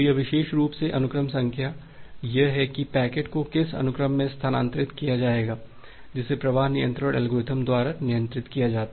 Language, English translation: Hindi, So this particular thing the sequence number is that at what sequence the packets will be transferred, that is handled by the flow control algorithm